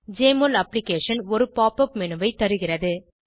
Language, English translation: Tamil, Jmol Application also offers a Pop up menu